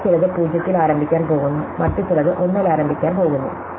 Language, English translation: Malayalam, So, some of them are going to start with 0, some other going to start with 1